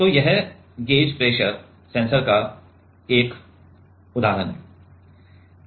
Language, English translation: Hindi, So, that is example of gauge pressure sensor